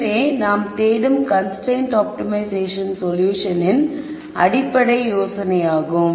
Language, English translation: Tamil, So, this is a basic idea of constrained optimization solution that we are looking for